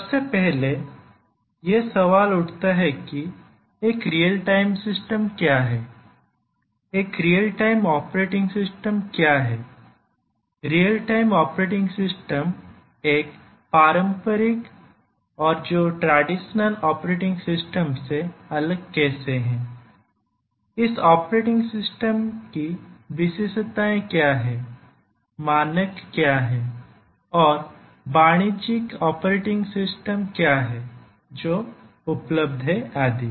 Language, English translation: Hindi, So, the first question that we need, somebody would ask is that what is a real time system, what is a real time operating system, how is real time operating system different from a traditional operating system, what are the features of this operating system, what are the standards etcetera, what are the commercial operating systems that are available